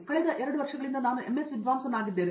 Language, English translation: Kannada, I have been a MS scholar here for the past 2 years